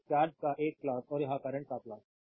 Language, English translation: Hindi, So, a plot of charge and this is the plot of current right